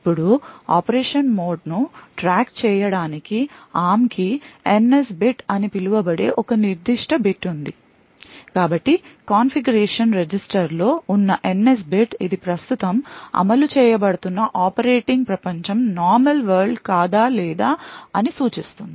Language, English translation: Telugu, Now in order to keep track of the mode of operation the ARM has a particular bit known as the NS bit so the NS bit present in the configuration register indicates whether it is a normal world or the operating world that is currently being executed